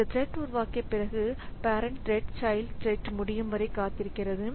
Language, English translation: Tamil, Now, after creating this thread, what the parent thread does is that it is waiting for this child thread to be over